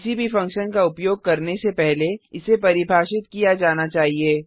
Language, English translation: Hindi, Before using any function, it must be defined